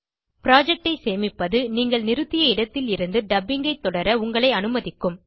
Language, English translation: Tamil, Saving a project will allow you to continue dubbing from where you left